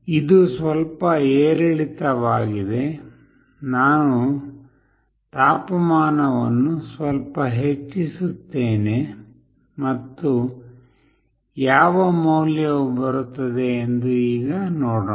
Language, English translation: Kannada, It is little bit fluctuating Let me increase the temperature a bit and see what value comes